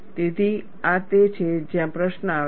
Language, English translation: Gujarati, So, this is where the question comes